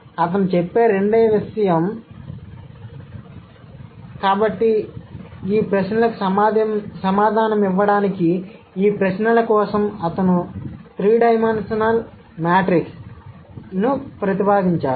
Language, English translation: Telugu, The second thing that he would say, so to answer this question that there are these, he has proposed a three dimensional matrix for these questions